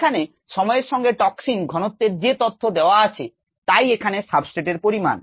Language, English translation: Bengali, the data on toxin concentration versus time, the toxin is the substrate here